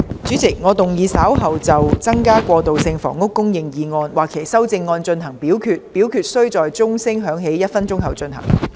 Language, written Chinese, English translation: Cantonese, 主席，我動議若稍後就"增加過渡性房屋供應"所提出的議案或其修正案進行點名表決，表決須在鐘聲響起1分鐘後進行。, President I move that in the event of further divisions being claimed in respect of the motion on Increasing transitional housing supply or any amendments thereto this Council do proceed to each of such divisions immediately after the division bell has been rung for one minute